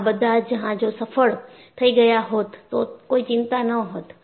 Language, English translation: Gujarati, If the ships were successful, no one would have worried